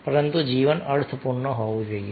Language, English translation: Gujarati, but life should be meaningful